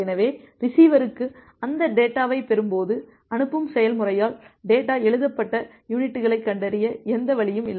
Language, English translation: Tamil, So, there is no way for the receiver when the receiver will receive that data, to detect the units in which the data were written by the sending process